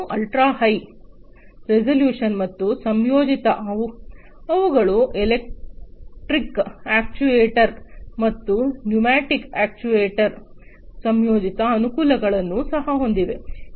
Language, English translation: Kannada, And ultra high resolution and combined, they also have the combined advantages of the electric actuators and the pneumatic actuator